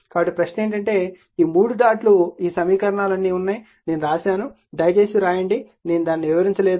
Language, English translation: Telugu, So, question is that, but this 3 dots are there this all this equations, I have written right you please write it I am not explain it